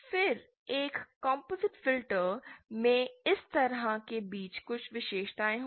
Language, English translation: Hindi, Then a composite filter will have characteristics something like between this